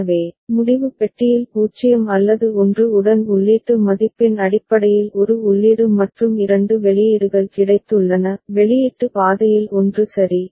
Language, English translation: Tamil, So, decision box has got one input and two outputs based on the input value with the 0 or 1; one of the output path is followed ok